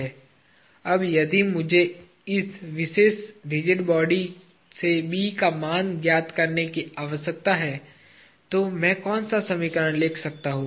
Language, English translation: Hindi, Now, if I need to find out the value of B from this particular rigid body, what is the equation I can write